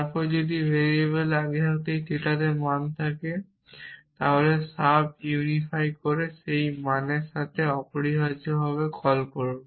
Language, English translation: Bengali, Then if variable already has the value in theta then call sub unify with that value essentially